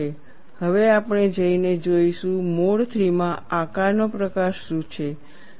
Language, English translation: Gujarati, Now, we will go and see, what is the type of shape in mode 3